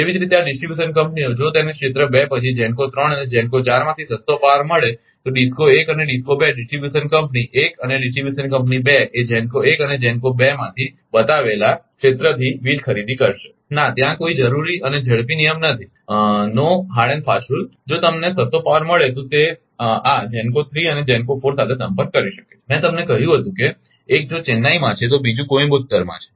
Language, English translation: Gujarati, Similarly, these distribution companies, if it get cheapest power from area 2, then GENCO 3 and GENCO 4, there is no need that DISCO 1 and DISCO 2 distribution company 1 and distribution company 2 will buy power from GENCO 1 and GENCO 2 from shown area no there is no hard and first rule, if you get cheapest power it can contact with this GENCO 3 and GENCO 4, I told you if 1 is in Chennai another is Coimbatore right like that